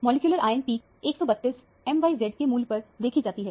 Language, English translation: Hindi, The molecular ion peak is seen at 132 m by z value